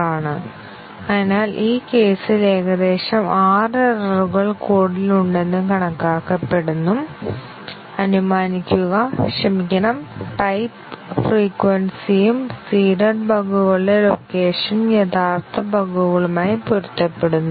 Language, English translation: Malayalam, So, for this case, approximately 6 errors are estimated to be there in the code, assuming that, the number of sorry, the type frequency and the location of the seeded bugs roughly match with that of the original bugs